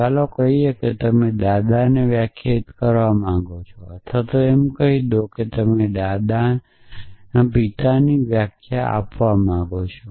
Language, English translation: Gujarati, So, let say you want to define grandfather or let say you want to define grand pa grandparent